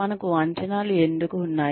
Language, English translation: Telugu, Why do we have appraisals